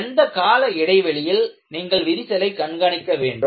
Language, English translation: Tamil, What should be your periodic interval to go and monitor the crack